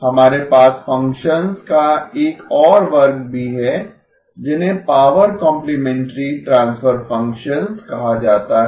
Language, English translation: Hindi, We also have another class of functions called power complementary transfer functions